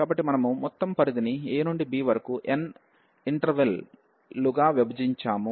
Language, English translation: Telugu, So, we have divided the whole range a to b into n intervals